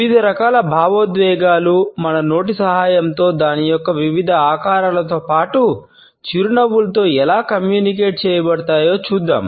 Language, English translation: Telugu, We would check how different type of emotions are communicated with the help of our mouth, different shapes of it, as well as smiles